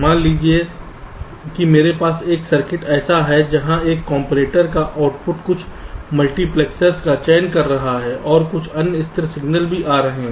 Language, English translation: Hindi, suppose i have a circuit like this where the output of a comparator is selecting some multiplexers and also some other stable signal is coming